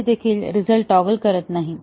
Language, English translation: Marathi, So, the result does not toggle